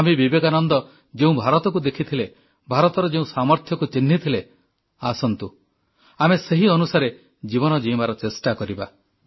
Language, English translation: Odia, Come, let us look anew at India which Swami Vivekananda had seen and let us put in practice the inherent strength of India realized by Swami Vivekananda